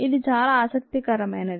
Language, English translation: Telugu, its very interesting